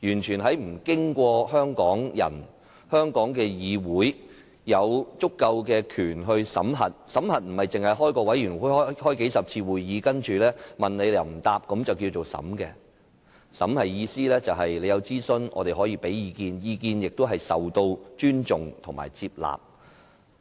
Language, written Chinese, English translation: Cantonese, 審核的意思，不僅限於成立法案委員會，舉行數十次會議，然後當局對於提問又不回應；而是政府進行諮詢時我們可以提出意見，並且得到尊重和接納。, By scrutiny it does not only confine to forming a Bills Committee to conduct dozens of meetings and the authorities failing to respond to questions raised; it also means that we should be able to voice our views during government consultation and that our views should be respected and accepted